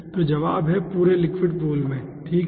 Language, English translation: Hindi, so answer is throughout the liquid pool, okay